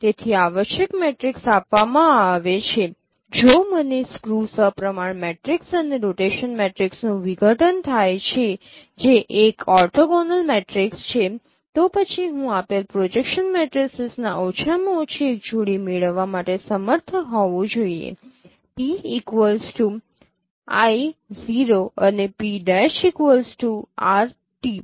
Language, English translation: Gujarati, So given an essential matrix if I get a decomposition of given an essential matrix if I get a decomposition of skew symmetric matrix and rotation matrix which is an orthonormal matrix, then I should be able to get at least a pairs of projection matrices given p equal to i is 0 and p prime is r and t